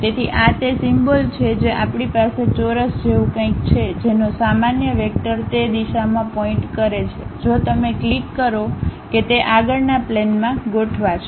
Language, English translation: Gujarati, So, this is the symbol what we have something like a square with normal vector pointing in that direction if you click that it will align to that front plane